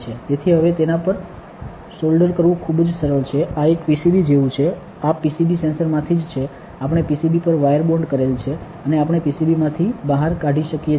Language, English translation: Gujarati, So, now, it is very easy to solder onto it this is like a PCB this is a PCB only from the sensor we have wire bonded onto the PCB and we can take out from the PCB